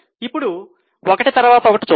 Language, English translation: Telugu, Now let us see one by one